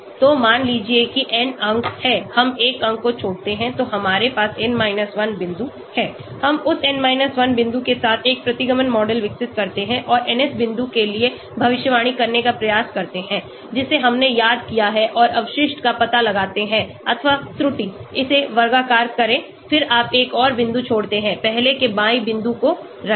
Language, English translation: Hindi, So suppose there are n points, we leave one point out so we have n 1 point, we develop a regression model with that n 1 point and try to predict for the nth point, which we have missed out and find out the residual or error, square it, then you leave another point, keep the previously left out point